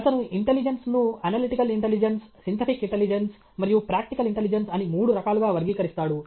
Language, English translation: Telugu, He classifies intelligence into three types, analytical intelligence, synthetic intelligence, and practical intelligence